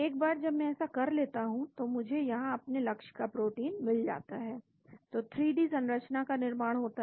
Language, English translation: Hindi, Once I do that I have here target protein, 3D structure is built